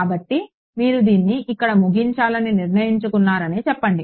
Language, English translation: Telugu, So, let us say you decided to terminate it here